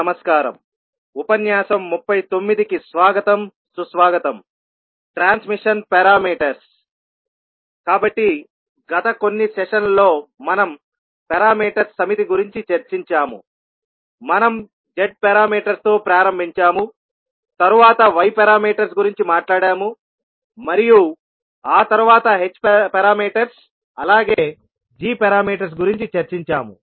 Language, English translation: Telugu, Namaskar, so in last few sessions we discussed about a set of parameters, we started with Z parameters, then we spoke about Y parameters and then we discussed H parameters as well as G parameters